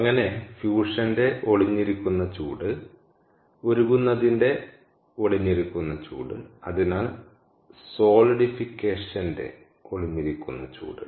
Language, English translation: Malayalam, so latent heat of fusion, latent heat of melting and therefore latent heat of solidification